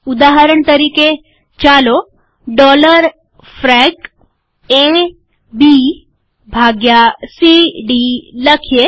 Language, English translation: Gujarati, For example, lets put dollar frac A B by C D